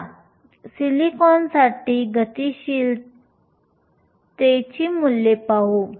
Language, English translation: Marathi, Let us take look at the mobility values for silicon